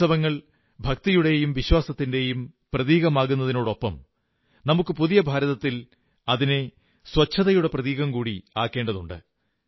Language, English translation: Malayalam, Festivals are of course symbols of faith and belief; in the New India, we should transform them into symbols of cleanliness as well